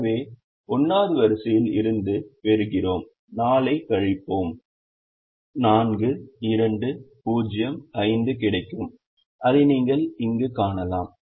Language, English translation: Tamil, so we get from the first row, we would get, subtracting four, we would get four, two, zero, five, which you can see there